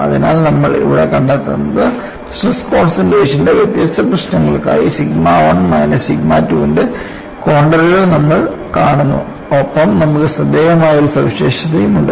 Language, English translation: Malayalam, So, what you find here is you seecontours of sigma 1 minus sigma 2 for different problems of stress concentration, and you have a striking feature